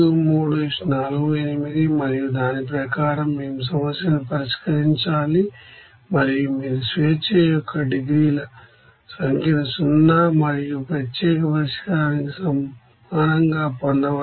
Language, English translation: Telugu, And then accordingly we have to solve the problem and you would can get the number of you know degrees of freedom will be equals to 0 and unique solution